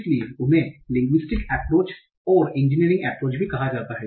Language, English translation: Hindi, So they are also called the linguistic approach and engineering approach